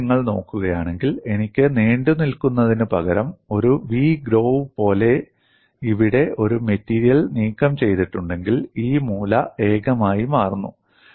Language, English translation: Malayalam, Now, if you look at, I have the instead of the protrusion, if I have a material removed here like a v groove, then this corner becomes singular